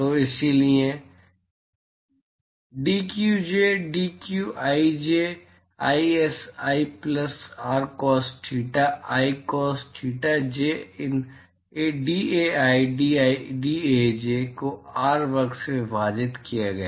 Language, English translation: Hindi, So, therefore, dqj, dqij is i plus r cos theta i cos thetaj into dAi dAj divided by R square